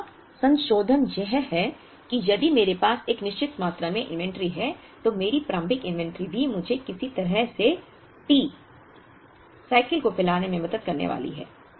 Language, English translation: Hindi, The modification here is if I have a certain amount of inventory my initial inventory is also going to help me in some way to stretch the T, the cycle